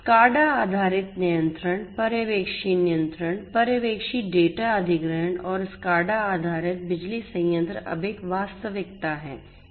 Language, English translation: Hindi, SCADA based control, supervisory control, supervisory data acquisition and supervisory control so, SCADA based power plants are a reality now